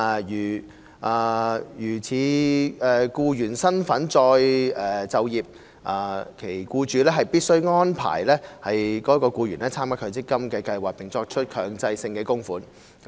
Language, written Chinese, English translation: Cantonese, 如以僱員身份再就業，其僱主必須安排該僱員參加強積金計劃並作出強制性供款。, If they are engaged in re - employment in the capacity of an employee their employers must make arrangements to enrol these employees in an MPF scheme and make mandatory contributions